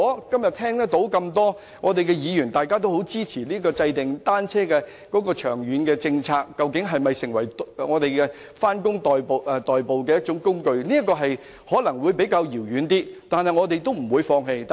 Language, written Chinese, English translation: Cantonese, 今天我聽到多位議員表示也支持制訂長遠的單車政策，探討單車能否成為上班的代步工具，目標可能較為遙遠，但我們不會放棄。, Today I have heard a number of Members speak in support of the formulation of a long - term bicycle policy exploring whether bicycles may become a means for commuting to work . Remote though the goal may seem we will not give up on our pursuit of it